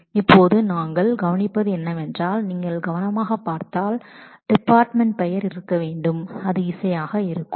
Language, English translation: Tamil, Now what we observe is it is possible that if you look at carefully the department name should be music